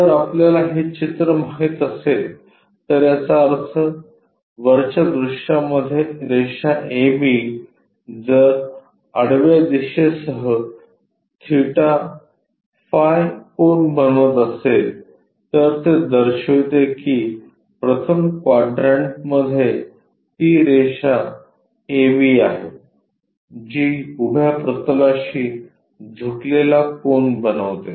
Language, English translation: Marathi, In case if we know this picture; that means, in the top view the line a b if it is making an angle theta phi with the horizontal that indicates that it is this line A B in that first quadrant making an inclination angle with respect to vertical plane